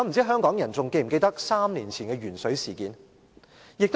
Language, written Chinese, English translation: Cantonese, 香港人是否還記得3年前的鉛水事件？, Do Hong Kong people still remember the lead - in - water water incident three years ago?